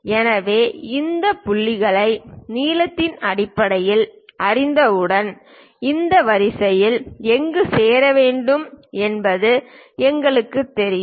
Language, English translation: Tamil, So, once we know these points in terms of lengths, we know where to where to join this line